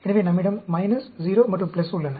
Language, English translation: Tamil, So, we have a minus, 0 and plus